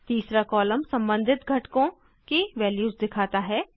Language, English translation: Hindi, The third column shows values of the corresponding components